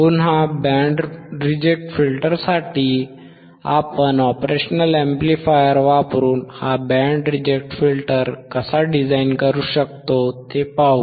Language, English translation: Marathi, Again, for band reject filter, we will see how we can design this band reject filter using operational amplifier